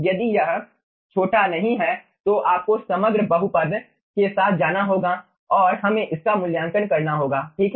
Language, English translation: Hindi, if its is not small, then you have to ah go with the overall overall polynomial and we have to evaluate the value